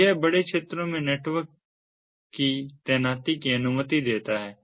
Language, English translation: Hindi, so this allows the network ah, ah deployment over large areas